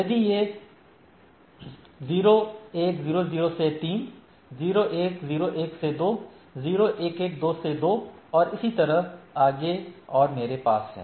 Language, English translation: Hindi, If it is 0100 to 3, 0101 to 2, 0111 to 2 and so and so forth and I have that